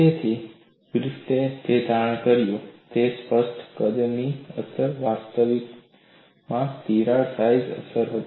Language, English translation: Gujarati, So, what Griffith concluded was, the apparent size effect was actually a crack size effect